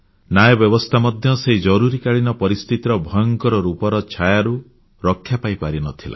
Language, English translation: Odia, The judicial system too could not escape the sinister shadows of the Emergency